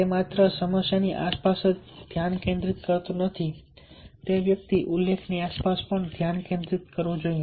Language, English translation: Gujarati, so it is not only focusing around the problem, one should also focus around the solution